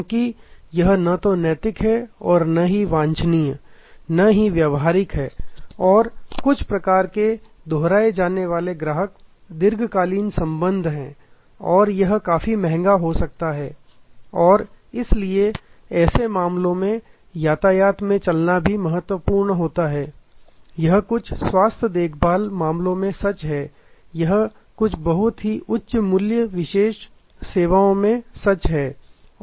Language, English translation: Hindi, Because, that is not neither ethical not desirable not practical and some types of repeat customers are long term relationships and may be quite costly and therefore, in such cases the walk in traffic will also be quite important, this is true again in certain health care cases, this is true in some very high value exclusive services